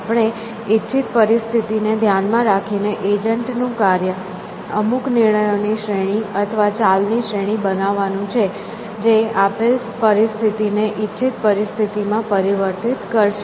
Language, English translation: Gujarati, So, given to desired situation and the task of the agent is to make a series of decisions or a series of moves, which will transform the given situation to the desired situation